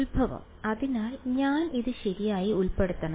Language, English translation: Malayalam, Origin so I should include it right